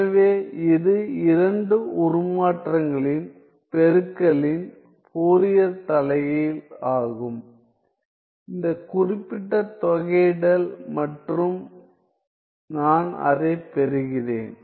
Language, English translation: Tamil, So, this is the Fourier inverse of the product of 2 transforms, this particular integral and I get that